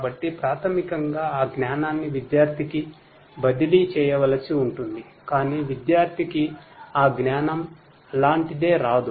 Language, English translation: Telugu, So, basically that knowledge has to be transferred to the student, but the student you know will not get that knowledge just like that